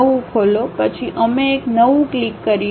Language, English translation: Gujarati, Open the new one, then we click the New one